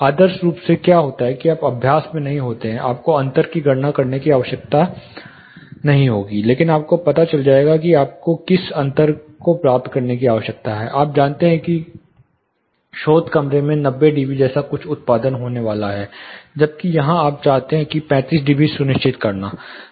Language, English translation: Hindi, Ideally what happens you will not in practice, you will not be required to calculate the difference, but you will know what difference you need to achieve, you know that the source room is going to produce something like 90 db, whereas here you want to ensure 35db